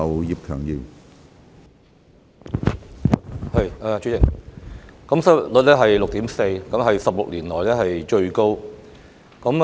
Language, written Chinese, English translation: Cantonese, 主席，現時香港失業率達 6.4%， 是16年來最高。, President the unemployment rate of Hong Kong hits a 16 - year high of 6.4 %